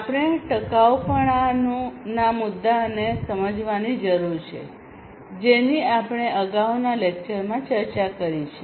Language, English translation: Gujarati, So, we need to understand the sustainability issue that we have discussed in the previous lecture